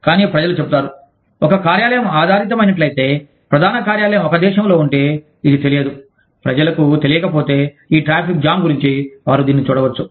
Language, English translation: Telugu, But, people say, if an office is based, if the head office is in a country, where this is unknown, or, people are not aware, of these traffic jams, they could see it as, tardiness